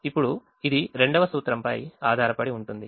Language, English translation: Telugu, now that is based on the second principle